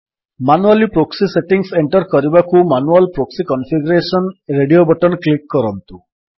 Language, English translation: Odia, To enter the proxy settings manually, click on Manual proxy configuration radio button